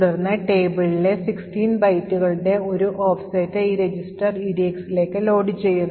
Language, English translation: Malayalam, Then we load an offset in the table more precisely an offset of 16 bytes in the table into this register EDX